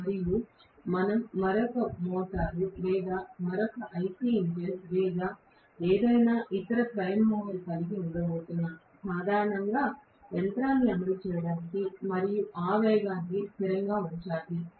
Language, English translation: Telugu, This is going to be synchronous speed and we are going to have maybe another motor or another IC engine or any other prime mover, basically to run the machine and that speed should be kept as a constant